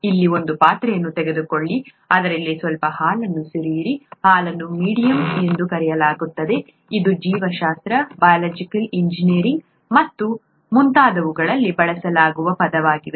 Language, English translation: Kannada, Take a vessel here, pour some milk into it, milk is called the medium; this is a term that is used in biology, biology, biological engineering and so on